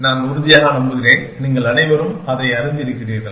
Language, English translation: Tamil, I am sure, you are all familiar with it